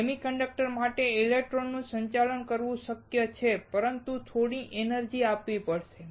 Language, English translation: Gujarati, It is possible for a semi conductor to conduct electron but, we have to give some energy